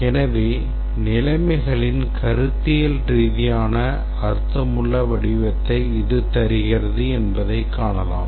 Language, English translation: Tamil, So, as you can see here that this gives a very conceptually meaningful representation of these conditions